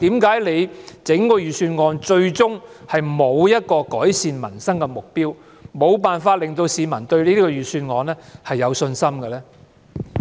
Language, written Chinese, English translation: Cantonese, 為何整份預算案最終並沒有提出一個改善民生的目標，以致無法令市民對這份預算案有信心呢？, At the end of the day why does the Budget fail to deliver the objective of improving peoples livelihood and ends up causing a loss of public confidence in it?